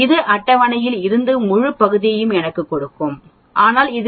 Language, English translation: Tamil, It will give me the whole area according to from the table but I need to subtract 0